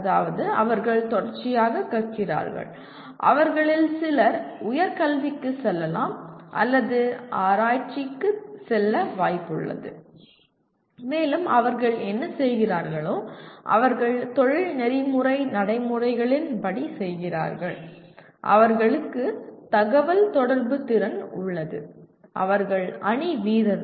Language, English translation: Tamil, That means they are continuously learning and some of them are likely to go for higher education or go into research as well and whatever they are doing they are doing as per ethical professional practices and they do have communication skills and they are team players